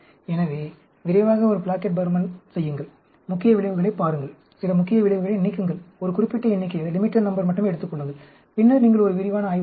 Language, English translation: Tamil, So, quickly do a Plackett Burman, look at the main effects, remove some of the main effects, take only a limited number, and then, you do a detail study